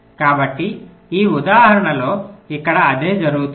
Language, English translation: Telugu, so same thing will happen here in this example